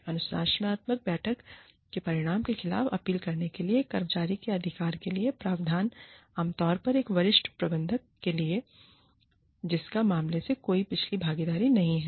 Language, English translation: Hindi, Provision for the right of an employee, to appeal against the outcome of a disciplinary meeting, commonly to a senior manager, who has had no previous involvement, in the case